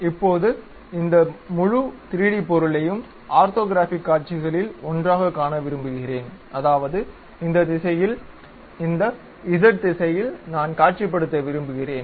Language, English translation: Tamil, Now, I would like to visualize this entire 3D object as one of the orthographic view; that means, I would like to visualize in this direction, in this z direction